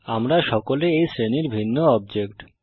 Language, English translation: Bengali, We are all different objects of this class